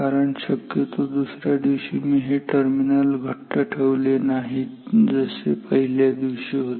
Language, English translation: Marathi, Because maybe the next day I did not make these terminals as tight as it was on the first day